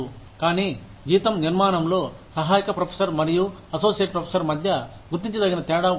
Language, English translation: Telugu, But, there is a significant amount of difference, in the salary structure, of an assistant professor, and an associate professor